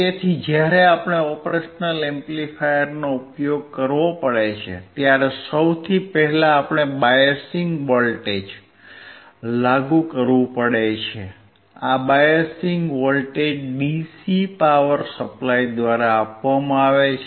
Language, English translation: Gujarati, So, when we have to use operational amplifier, the first thing that we have to do is apply the biasing voltage, this biasing voltage is given by the DC power supply